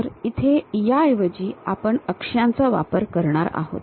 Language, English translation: Marathi, So, here instead of that, we are denoting it by letters